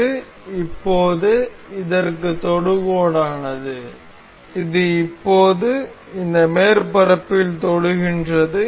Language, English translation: Tamil, This is now tangent to this, this is now tangent to this surface